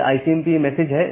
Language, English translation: Hindi, So, this is the ICMP message